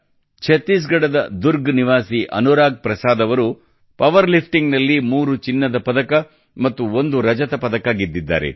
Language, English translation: Kannada, Anurag Prasad, resident of Durg Chhattisgarh, has won 3 Gold and 1 Silver medal in power lifting